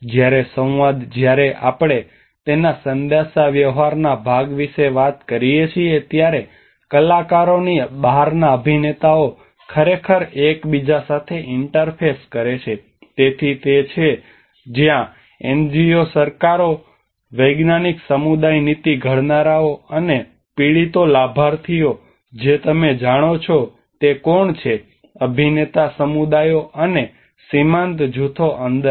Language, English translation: Gujarati, Whereas a dialogue when we talk about the communication part of it read inside actors outside actors actually they interface with each other, so that is where the NGOs the governments, the scientific community the policymakers and also the victims, the beneficiaries you know who are the inside actors the communities and the marginalized groups